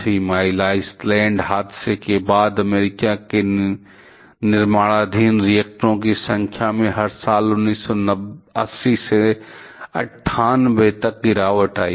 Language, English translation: Hindi, Following the Three Mile Island Incident, the number of reactors under construction in US declined every year from 1980 to 1998